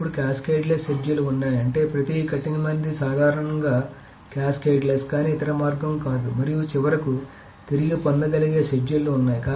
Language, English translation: Telugu, Then there are cascadless schedules which I mean every strict is of course casketless but not the other way round and then finally there are recoverable schedules